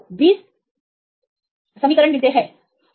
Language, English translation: Hindi, So, you get 20 differential equations